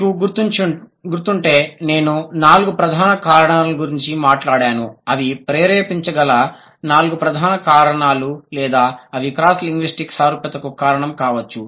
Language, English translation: Telugu, If you can recall, I was talking about four major reasons which could lead to or which could trigger or which could be the reason of cross linguistic similarity